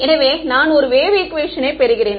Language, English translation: Tamil, So, I get a wave equation right